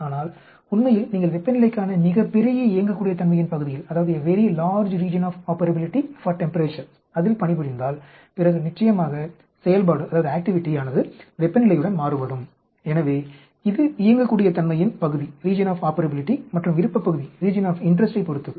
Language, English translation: Tamil, But in reality if you work at a very large Region of Operability for temperature then definitely the activity will vary with the temperature, so it depends on the Region of Operability and the region of interest